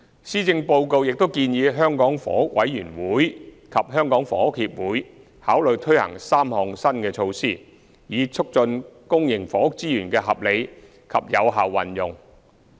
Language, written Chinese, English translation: Cantonese, 施政報告亦建議香港房屋委員會及香港房屋協會考慮推行3項新措施，以促進公營房屋資源的合理及有效運用。, The Policy Address also advises the Hong Kong Housing Authority HA and the Hong Kong Housing Society HKHS to consider implementing three new initiatives to facilitate the rational and efficient use of public housing resources